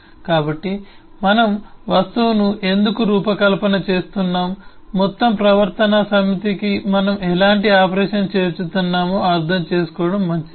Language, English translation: Telugu, so why we are designing the object, it will be good to understand what kind of operation we are adding to the whole behavior set